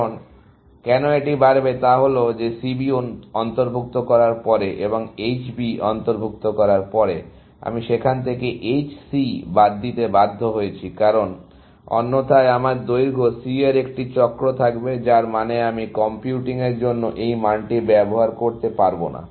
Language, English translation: Bengali, The reason, why that will go up is that having included C B, and have having included H B, I am forced to exclude H C from there, because otherwise, I would have a cycle of length C, which means I cannot use this value for computing this; for this one; for computing the estimate of that node, I cannot use this value, 600